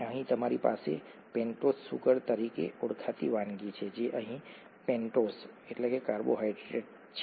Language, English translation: Gujarati, You have what is called a pentose sugar here, a pentose carbohydrate here